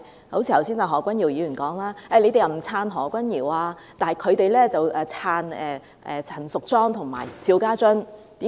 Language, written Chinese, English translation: Cantonese, 剛才何君堯議員指，他們說我們不"撐"何君堯，但他們會"撐"陳淑莊和邵家臻。, As Dr Junius HO highlighted earlier they said we did not support Dr Junius HO but they would support Ms Tanya CHAN and Mr SHIU Ka - chun